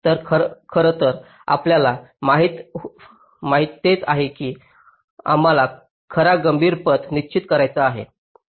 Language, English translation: Marathi, so actually what you want is that we want to determine the true critical paths